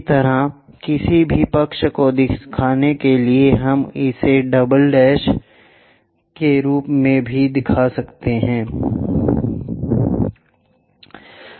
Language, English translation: Hindi, Similarly, for side view any of this we will show it as double’s